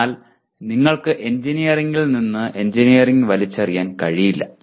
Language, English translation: Malayalam, But you cannot throw away engineering from engineering